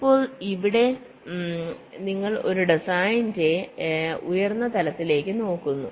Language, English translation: Malayalam, ok, now here you look at a even higher level of a design